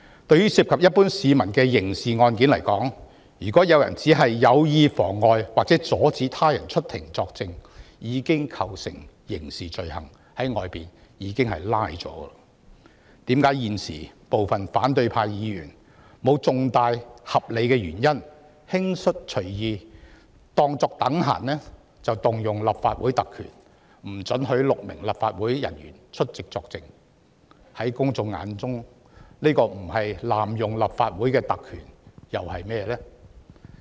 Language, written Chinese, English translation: Cantonese, 在涉及一般市民的刑事案件中，如果有人有意妨礙或阻止他人出庭作證，已經構成刑事罪行，會被拘捕，現時反對派議員沒有合理原因隨意引用立法會特權，阻止6名立法會人員出庭作證，在公眾眼中，這不是濫用立法會特權又是甚麼呢？, As regards criminal cases involving ordinary people if someone prevents or has the intention to prevent another person from giving evidence in court he already commits a criminal offence and is subject to arrest . Now Members from the opposition camp arbitrarily exercise the privileges of the Legislative Council without valid grounds to prevent these six officers of the Legislative Council from giving evidence in court . In the publics eyes what else can it be if it is not an abuse of the Legislative Councils privileges?